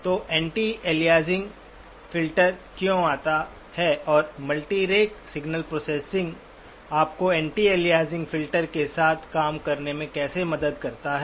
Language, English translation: Hindi, So why the anti aliasing filter comes and how multirate signal processing helps you work with the anti aliasing filter